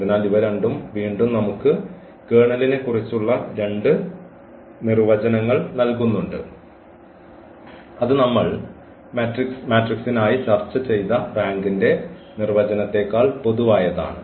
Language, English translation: Malayalam, So, these 2 again we have the 2 more definitions of about the kernel which is more general than the definition of the rank we have discussed for matrices